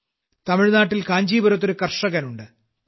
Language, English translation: Malayalam, In Tamil Nadu, there is a farmer in Kancheepuram, Thiru K